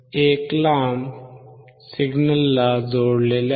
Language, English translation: Marathi, A longer one is connected to the signal